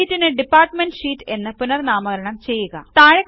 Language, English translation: Malayalam, Rename the sheet to Department Sheet